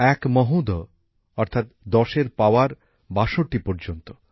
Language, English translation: Bengali, One saagar means 10 to the power of 57